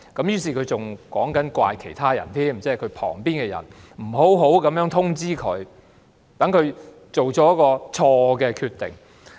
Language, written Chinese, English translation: Cantonese, 於是他更責怪司長身旁的人不好好通知她，令她作出了錯誤決定。, He thus even put the blame on her colleagues for not properly informing her so that she made a mistake